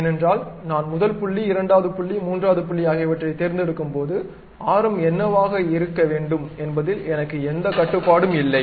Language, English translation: Tamil, Because when I pick first point, second point, third point, I do not have any control on what should be the radius I cannot control it